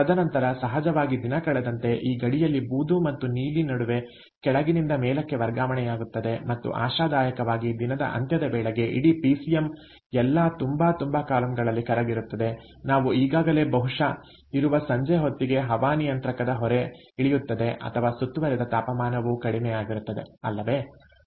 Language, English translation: Kannada, and then, of course, as the day goes by, this boundary between gray and blue is going to shift from down to up and hopefully by the end of the day, by the time the entire pcm has melted in all the columns, ah, we already are in, maybe during the evening time, where the air conditioning load will come down or the ambient temperature has also come down right